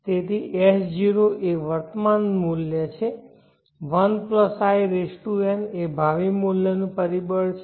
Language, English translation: Gujarati, So S0 is the present value worth 1+In is the future worth factor